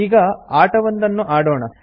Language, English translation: Kannada, Now let us play a game